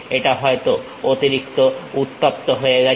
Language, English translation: Bengali, It might be overheated